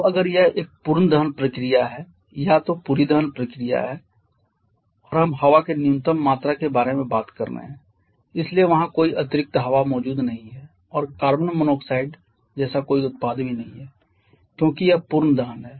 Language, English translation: Hindi, Now if it is a perfect combustion process complete combustion then and we are talking about a minimum quantity of air so no extra air present there and also no product like carbon monoxide because it is complete combustion